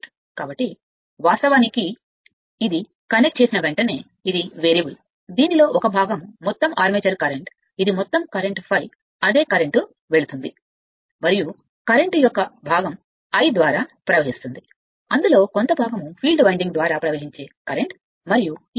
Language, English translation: Telugu, So, as soon as and this is a variable as soon as you connect it, 1 part of the this is the total armature current, this is the total current I a right the same current is going and the part of the current, it will be flowing through this your I and part of the current flowing through the field winding right